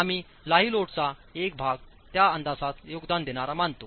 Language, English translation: Marathi, We also consider part of the live load as being contributory to that estimate